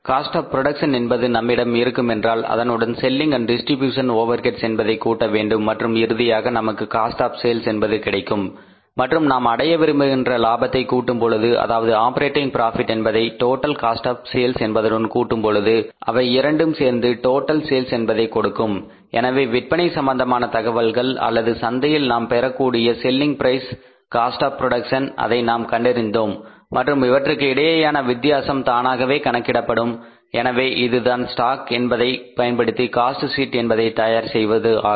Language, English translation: Tamil, So, once the cost of production is available with us adding into their selling and distribution overheads then finally you will arrive at the cost of sales and then adding into that the merchant we want to earn the profit be operating profit we want to earn this total cost of sales and the say operating profit total of these two things will give us the total sales value so sales information or the selling price we will take from the market cost of production we will calculate ourselves and difference between these two can automatically be calculated so this is how to prepare the cost sheet by treating the stock